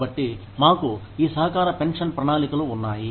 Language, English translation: Telugu, So, we have these contributory pension plans